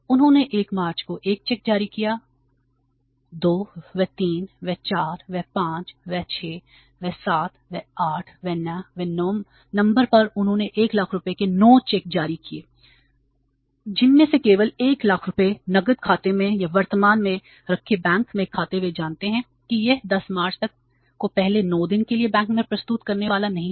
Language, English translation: Hindi, They issued the 1 check on 1st March, 1 on the 2nd, 3rd, 5th, 6th, 7th, 8th, 9th, they have issued 9 checks of the 1 lakh rupees each by keeping only 1 lakh in the cash account or in the current account in the bank, they know it that it is not going to be presented in the bank for the before 9 days on the 10th March and on the 10th March also the check we have issued on the 1st March will be presented